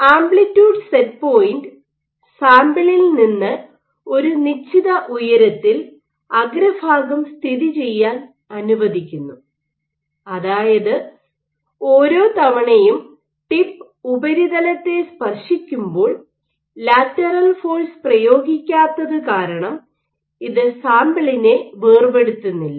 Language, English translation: Malayalam, So, amplitude set point allows the tip to be positioned at a certain height from the sample such that every once in a while, the tip is touching the surface, but the same time it is not exerting any lateral force which might detach the subsample